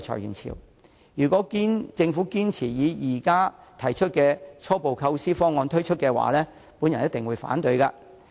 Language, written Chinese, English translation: Cantonese, 因此，如果政府堅持推出現時提出的初步構思方案，我一定會反對。, This is why I will definitely voice objection should the Government insist on putting forward its preliminary proposal